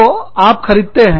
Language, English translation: Hindi, So, you buy